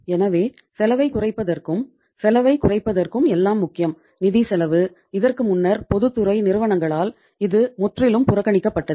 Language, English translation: Tamil, So for reducing the cost, for reducing the cost everything is important, the financial cost, which was totally ignored earlier by the public sector companies